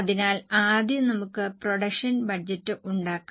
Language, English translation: Malayalam, So, first of all, let us make production budget